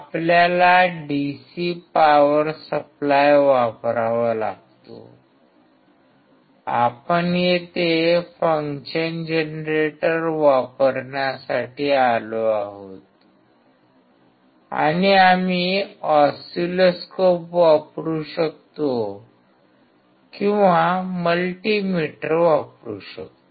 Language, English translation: Marathi, We have to use here the DC power supply, we are here to use function generator and we can use oscilloscope or we can use millimeter